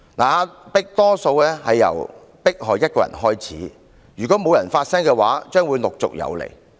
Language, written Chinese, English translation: Cantonese, 壓迫多數由迫害一個人開始，如果沒有人發聲，將會陸續有來。, Oppression always starts with the majority persecuting individuals . If no one voices any objection such kind of incident will become more frequent